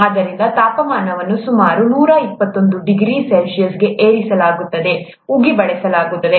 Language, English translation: Kannada, So the temperature is raised to about 121 degrees C, steam is used